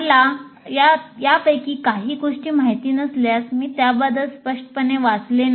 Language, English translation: Marathi, First of all if I do not know any of these things I haven't read about it obviously I do not know